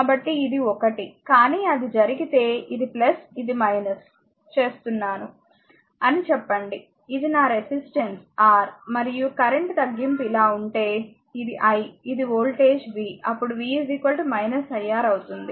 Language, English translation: Telugu, So, I mean this is this is one, but if it happen so, if it happen so say this is I making plus this is minus, this is my resistance R, and if the deduction of the current is like this, this is i these voltage is v, then v will be is equal to minus iR